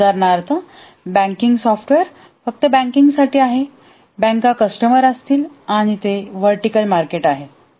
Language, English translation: Marathi, For example, a banking software is only the banks will be the customer and that's a vertical market